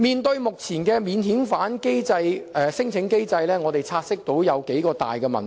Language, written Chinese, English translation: Cantonese, 就目前的免遣返聲請機制，我們察悉存在數大問題。, We have identified a few major problems in the existing mechanism for non - refoulement claims